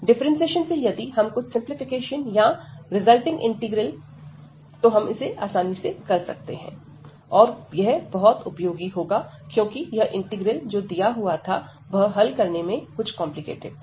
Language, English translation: Hindi, So, with the differentiation if we can see some a simplification or the resulting integral, we can easily solve then this going to be useful, because the integral given in this form is its a little bit complicated to evaluate